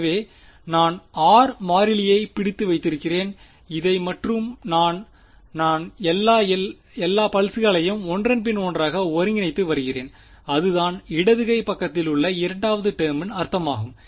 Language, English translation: Tamil, So, I am holding r m constant and integrating over this then this then this over all of these pulses 1 by 1 that is the meaning of the left hand side the second term over here